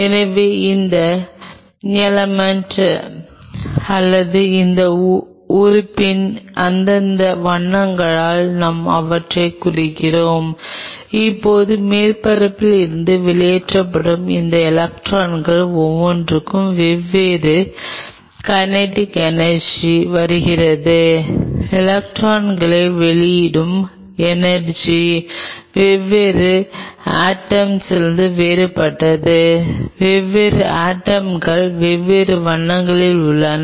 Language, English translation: Tamil, So, I am representing them by the respective colors of that atom or of that element and now each one of these electrons which are ejected out from the surface are coming with a different kinetic energy, the energy of emitting an electron is different from different atom, where the different atoms are of the different colours